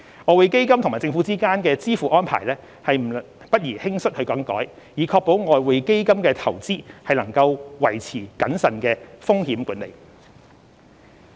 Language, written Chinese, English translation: Cantonese, 外匯基金與政府之間的支付安排不宜輕率更改，以確保外匯基金的投資能維持謹慎的風險管理。, Therefore the decision to alter the arrangements for payment between EF and the Government should not be made lightly in order to ensure prudent risk management in respect of investments of EF